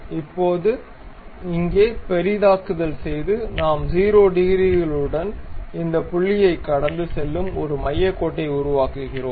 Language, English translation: Tamil, Now, here zooming and here we make a center line which pass through this point with 0 degrees